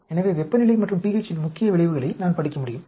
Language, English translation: Tamil, So, I can study the main effects of temperature and p h